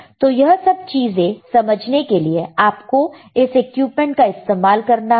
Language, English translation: Hindi, So, if you want to understand this thing, you have to use this equipment